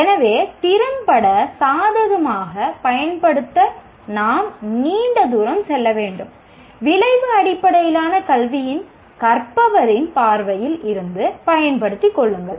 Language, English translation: Tamil, So, we have a long way to go to effectively take advantage, take advantage from the learner perspective of outcome based education